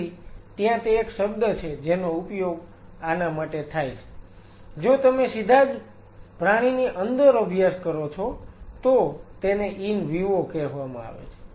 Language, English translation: Gujarati, So, there is a term which is used for this if you directly studying within the animal is called in vivo